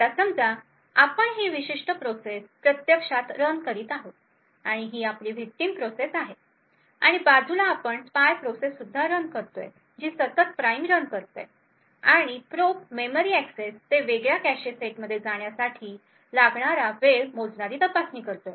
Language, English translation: Marathi, Now assume that we are actually running this particular process and this is our victim process and side by side we also run a spy process which is continuously running the prime and probe scanning the measuring the time taken to make memory accesses to a different sets in the cache